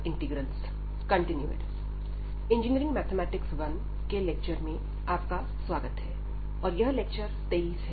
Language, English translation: Hindi, So, welcome to the lectures on Engineering Mathematics 1, and this is lecture number 23